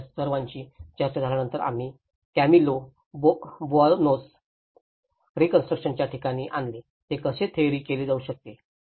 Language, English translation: Marathi, And after having the discussions of all these, we brought to the Camilo Boanos, the reconstruction space, how it can be theorized